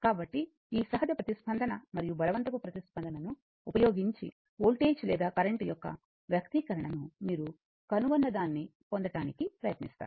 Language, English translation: Telugu, So, using this natural response and forced response, so we will try to obtain the your what you call expression of the your voltage or current whatever you want